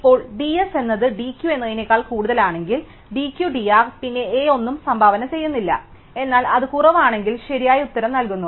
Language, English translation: Malayalam, Now, if d S is more than d Q the minimum of d Q and d R, then s does not contribute anything, but if it is less gives as the correct answer